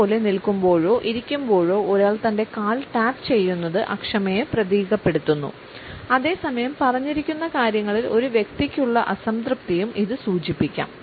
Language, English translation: Malayalam, Similarly, while standing or sitting tapping with ones foot symbolizes impatience and at the same time it may also suggest a certain dissatisfaction with what is being said